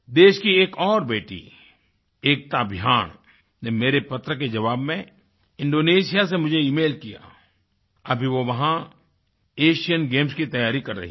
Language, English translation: Hindi, Ekta Bhyan, another daughter of the country, in response to my letter, has emailed me from Indonesia, where she is now preparing for the Asian Games